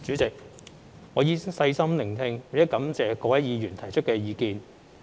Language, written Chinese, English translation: Cantonese, 主席，我已細心聆聽並感謝各位議員提出意見。, President I have listened carefully and I thank Members for their views